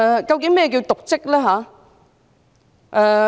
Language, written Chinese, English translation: Cantonese, 究竟何謂瀆職？, What exactly is dereliction of duty?